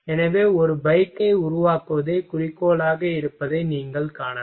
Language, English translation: Tamil, So, you can see goal is to make a bike